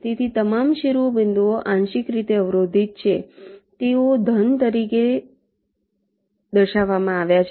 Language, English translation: Gujarati, so all the vertices are partially block, so they are shown as solid